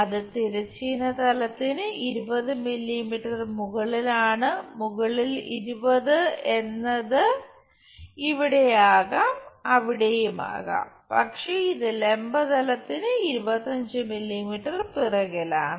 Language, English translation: Malayalam, 20 millimetres above horizontal plane above 20 it can be here it can be there, but it is 25 millimetres behind vertical plane